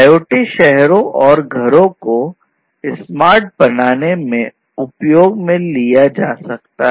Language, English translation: Hindi, So, IoT finds applications in making cities and homes smart